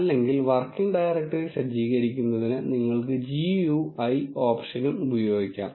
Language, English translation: Malayalam, Otherwise you can use GUI option also to set the working directory